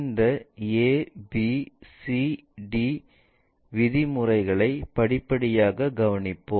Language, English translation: Tamil, Let us carefully look at these ABCD terms step by step